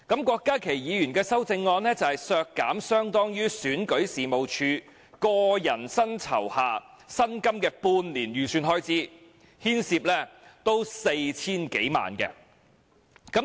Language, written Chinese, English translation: Cantonese, 郭家麒議員的修正案是削減相當於選舉事務處個人薪酬下薪金的半年預算開支，牽涉 4,000 多萬元。, The amendment proposed by Dr KWOK Ka - ki seeks to reduce more than 40 million equivalent to half - year estimated expenditure for salaries under personal emoluments for Registration and Electoral Office staff